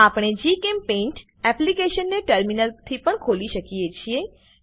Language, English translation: Gujarati, We can also open GChemPaint application from Terminal